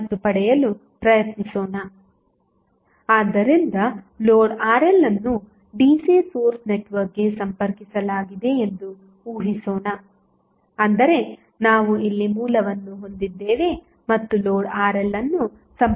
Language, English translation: Kannada, So, let us assume that the load Rl is connected to a DC source network that is, we have a book here and load Rl is connected to that